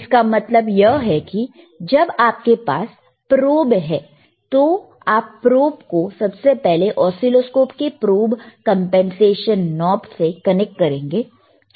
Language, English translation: Hindi, tThat means, when you have the probe, you connect the probe to the oscilloscope, you will connect it to the probe compensation knob it is right here